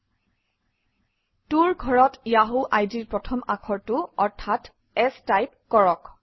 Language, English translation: Assamese, In the To field, type the first letter of the yahoo id, that is S